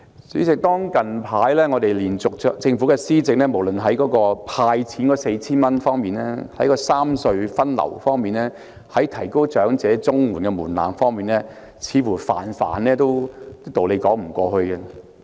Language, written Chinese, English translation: Cantonese, 主席，近來政府的各項措施，無論是"派錢 "4,000 元，三隧分流方案，或提高長者綜援的門檻等，似乎都在道理上說不過去。, President recently it seems that various measures of the Government including handing out 4,000 the proposal on traffic rationalization among the three road harbour crossings or raising the age threshold for applying for elderly Comprehensive Social Security Assistance are unreasonable